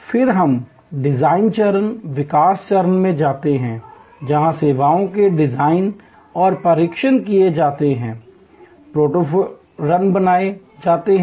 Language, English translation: Hindi, Then, we go to the design phase, the development phase, where services design and tested, prototype runs are made